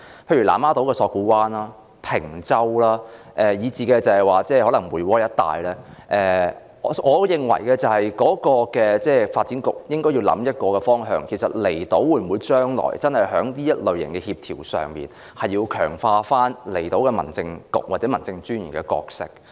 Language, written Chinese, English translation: Cantonese, 例如南丫島索罟灣、坪洲以至梅窩一帶，我認為發展局應該考慮一個方向，就是政府將來會否在這類型的工作協調上，強化離島的民政事務處或民政事務專員的角色？, For example as regards places such as Lamma Islands Sok Kwu Wan Peng Chau and Mui Wo the Development Bureau should consider one thing and that is the Government should consider strengthening the roles of the Islands District Office and District Officer Islands in coordinating efforts at these several locations?